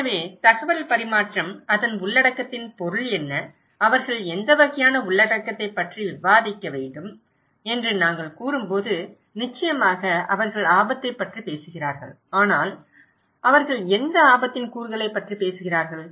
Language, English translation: Tamil, So, when we are saying that the exchange of informations, what is the meaning of content of that, what kind of content they should discuss, of course, they are talking about risk but what is, what component of risk they are talking about, so that’s we are talking okay